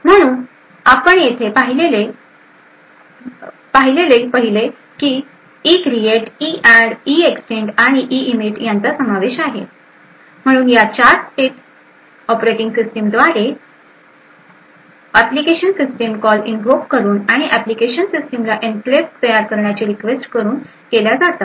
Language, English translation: Marathi, So, after EINIT that is the first step which is over here so the first step as we seen over here ivolves the ECREATE EADD EEXTEND and EINIT, so these 4 steps are all done the operating system by application invoking system calls and then requesting application system to create this enclave